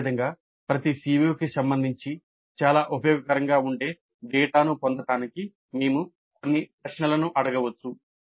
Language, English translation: Telugu, Similarly with respect to each CO we can ask certain questions to get data that is quite useful